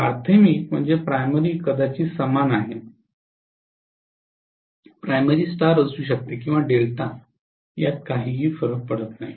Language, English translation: Marathi, The primary probably is the same, the primary can be in star or delta doesn’t matter